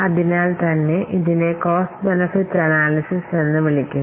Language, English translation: Malayalam, So, that's why this is known as cost benefit analysis